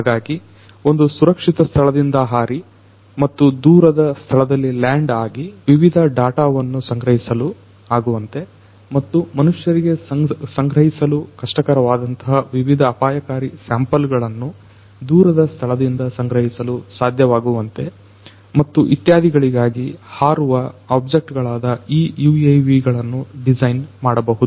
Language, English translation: Kannada, So, you UAVs could be designed in such a manner, that these flying objects would fly from a safer location, and land up in a remote location and could collect different data could collect different samples from that remote location, which presumably is hazardous, which presumably cannot be made accessible to humans and so on